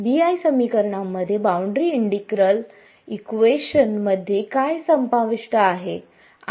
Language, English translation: Marathi, The BI equations the boundary integral equations involves what and what